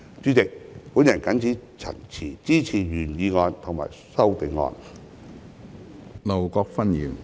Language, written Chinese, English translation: Cantonese, 主席，我謹此陳辭，支持原議案及修正案。, With these remarks President I support the original motion and the amendment